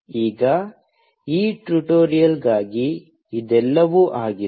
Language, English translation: Kannada, Now, this is all for this tutorial